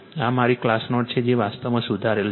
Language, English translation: Gujarati, This is my class note everything it is corrected actually right